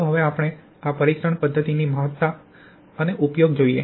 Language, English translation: Gujarati, Now let us see the significance and use of this test method